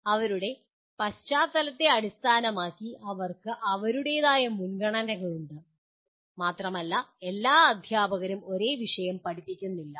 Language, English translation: Malayalam, Based on their background, they have their own preferences and all teachers are not teaching the same subject